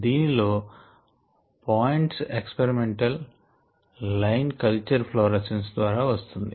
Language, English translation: Telugu, yah, the points are experimental points and the line is given by culture florescence